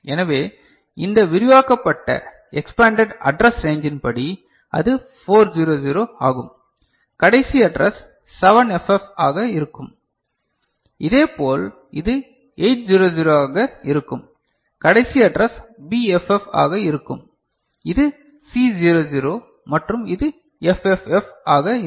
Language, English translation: Tamil, So, that is 400 according to these expanded address range and last address one will be 7FF, similarly this one will be 800 and last address will be BFF and this is C00 and this will be FFF